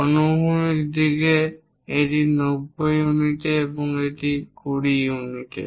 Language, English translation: Bengali, In the horizontal direction it is at 90 units and this is at 20 units